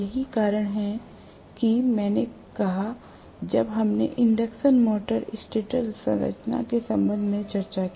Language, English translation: Hindi, That is why I said when we discussed with respect to induction motor stator structure